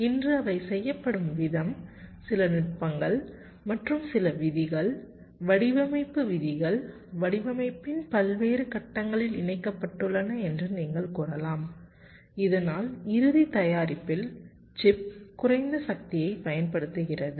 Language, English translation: Tamil, some techniques and some rules you can say design rules are incorporated at various stages of the design so that out final product, the chip, consumes less power